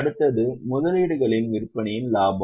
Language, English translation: Tamil, Next is profit on sale of investment